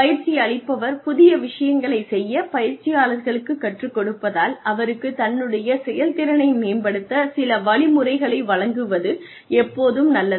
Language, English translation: Tamil, So, as the trainee is practicing, as the trainee is doing new things, it is always a good idea, to give the trainee, some ways, some method to improve upon the performance